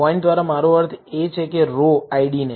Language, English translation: Gujarati, By points, I mean in the row IDs